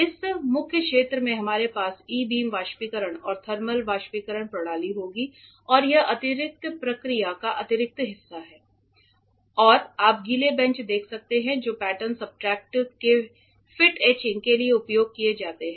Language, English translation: Hindi, In this main area we will have E beam evaporator and thermal evaporator systems and that is the addition part of the addition process and behind me you can see wet benches which are used for fit etching of pattern substrates ok